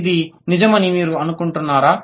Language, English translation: Telugu, Do you think this will hold true